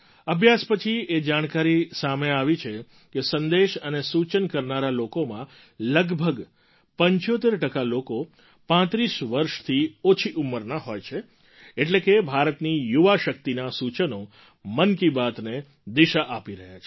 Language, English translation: Gujarati, The study revealed the fact that out of those sending messages and suggestions, close to 75% are below the age of 35…meaning thereby that the suggestions of the youth power of India are steering Mann ki Baat